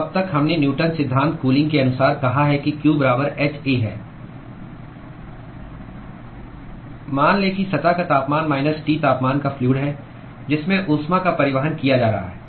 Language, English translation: Hindi, So, far we said by Newton’s law of cooling we said that q equal to h A into let us say the surface temperature minus T temperature of the fluid to which the heat is being transported